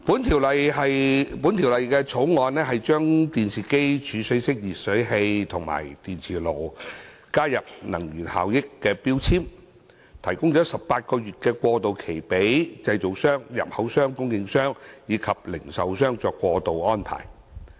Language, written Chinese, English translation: Cantonese, 《修訂令》旨在把電視機、儲水式電熱水器及電磁爐加入計劃，並提供18個月過渡期，讓製造商、入口商、供應商及零售商作出過渡安排。, The Amendment Order seeks to include televisions storage type electric water heaters and induction cookers in MEELS and allow a transitional period of 18 months for manufacturers importers suppliers and retailers to make transitional arrangements